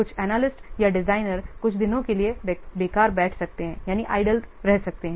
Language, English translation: Hindi, Here some analyst or designers may sit idle for some days